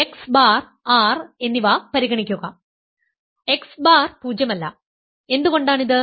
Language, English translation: Malayalam, So, consider x bar and R, then x bar is non zero, why is this